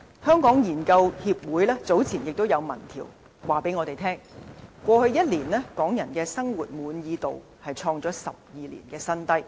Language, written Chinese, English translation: Cantonese, 香港研究協會早前的民意調查顯示，過去一年港人生活滿意度創下12年新低。, A survey conducted by the Hong Kong Research Association earlier indicated that Hong Kong peoples life satisfaction over last year reached a new low in 12 years